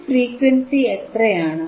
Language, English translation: Malayalam, What is this frequency